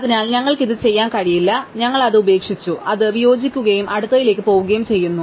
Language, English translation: Malayalam, So, we cannot do it, so we discarded it, we discard it and go to the next one